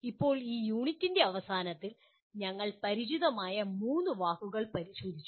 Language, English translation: Malayalam, Now coming to the end of this unit, we have looked at three familiar words